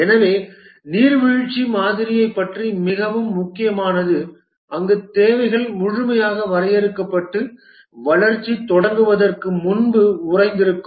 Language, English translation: Tamil, So, it is very critical about the waterfall model where the requirements are fully defined and frozen before the development starts